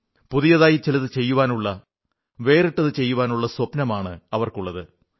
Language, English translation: Malayalam, It thrives on the dream to do something new, something different